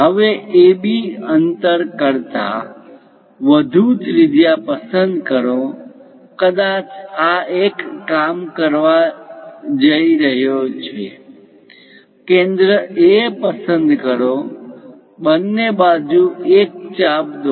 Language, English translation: Gujarati, Now, pick a radius greater than AB distance; perhaps this one going to work, pick centre A, draw an arc on both sides